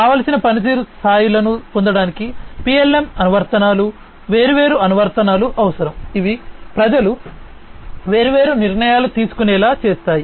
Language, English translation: Telugu, PLM applications to get desired performance levels, different applications are required, which are responsible for enabling the people to take different decisions